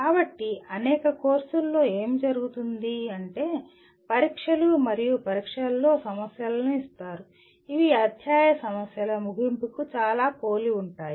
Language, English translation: Telugu, So what happens as many courses will give problems in tests and examinations which are very similar to end of chapter problems